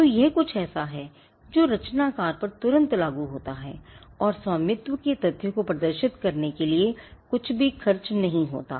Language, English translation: Hindi, So, this is something that accrues immediately on the creator and it does not cost anything to display the fact of ownership